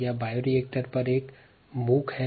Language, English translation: Hindi, this is a mock on bioreactors in the ah